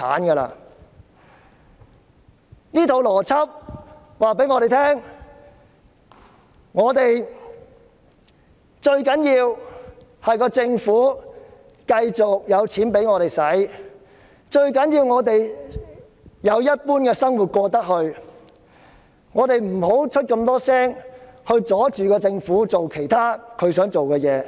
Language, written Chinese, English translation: Cantonese, 從她的邏輯可見，最重要的是政府繼續給市民金錢，讓他們可以如常生活，因此我們不應多言，阻礙政府做想做的事。, It can be seen from her argument that the most important of all is that the Government should continue to give people money so that they can live their life as usual and that we should not say too much and hinder the Government in doing what it wants to